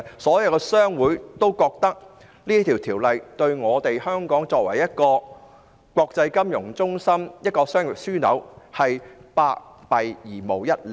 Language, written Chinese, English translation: Cantonese, 所有商會都認為，這項"送中"法案對香港作為國際金融中心及商業樞紐是百害而無一利。, All trade associations opined that the China extradition bill would do all harm but no good to Hong Kong as an international financial centre and a business hub